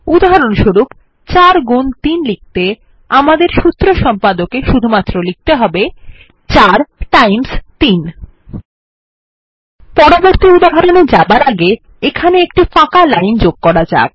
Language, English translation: Bengali, For example, to write 4 into 3, , we just need to type in the Formula Editor window 4 times 3 Before we go to the next example, let us insert a blank line here